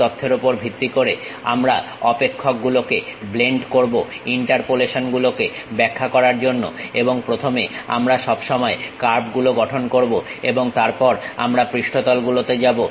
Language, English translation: Bengali, Based on that information we will blend the functions to describe the interpolations and first we will always construct curves and then we will go with surfaces